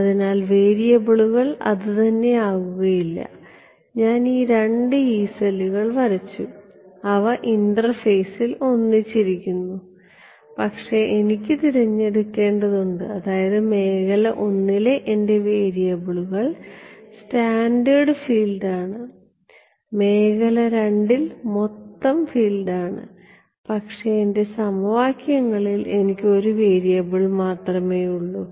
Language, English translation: Malayalam, So, that is what the variables cannot be the same right I have drawn these two Yee cells they are overlapping at the interface, but I have to choose right I mean is my way in region I the variables is scattered field in the region II the variable is total field ok, but in my equations I am going to have only one variable right